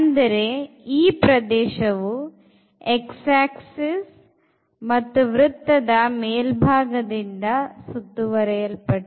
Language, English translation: Kannada, So, bounded by this x axis and this upper part of the circle